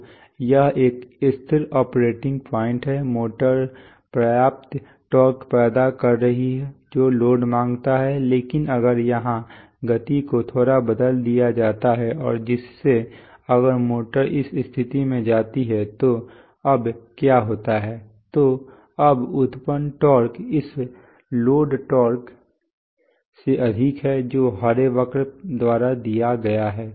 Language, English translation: Hindi, So it is a stable operating point, motor is generating enough torque which the load demands, but if the speed here is slightly changed, let us say this way and if the motor goes to this position then what happens now is that the generated torque which is this one is more than the load torque which is given by the green curve